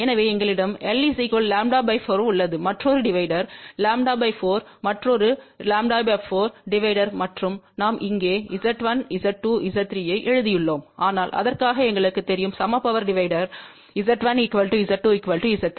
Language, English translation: Tamil, So, we have 1 lambda by 4 section another lambda by 4 section another lambda by 4 section and just we have written here Z1 Z 2 Z 3, but we know that for equal power divider Z1 should be equal to Z 2 should be equal to Z 3